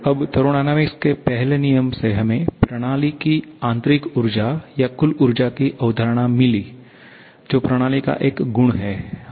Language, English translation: Hindi, Now, from the first law of thermodynamics, we got the concept of internal energy or I should say total energy of a system is a property